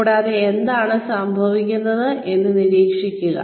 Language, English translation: Malayalam, And, keep an eye on, what is going on